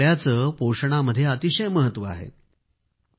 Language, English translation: Marathi, All these are very important aspects of Nutrition